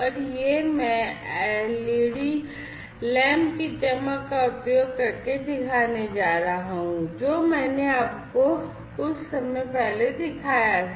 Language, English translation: Hindi, And this I am going to show using the glowing of the led lamp, that I have shown you a while back